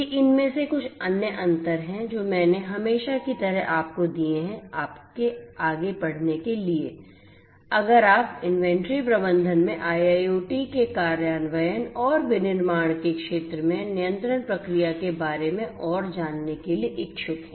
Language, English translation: Hindi, These are some of these different other differences that I have given you as usual, for your further reading in case you are interested to know further about the implementation of IIoT in the inventory management and control process in manufacturing sector